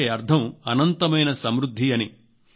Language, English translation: Telugu, This means endless sufficency